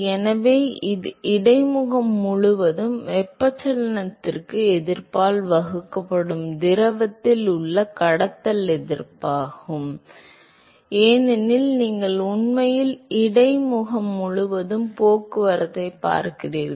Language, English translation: Tamil, So, it is the conduction resistance in fluid divided by resistance to convection at rather across the interface, because you are really looking at transport across the interface